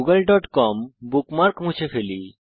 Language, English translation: Bengali, Lets delete the www.google.com bookmark